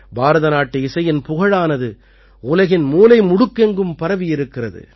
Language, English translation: Tamil, The fame of Indian music has spread to every corner of the world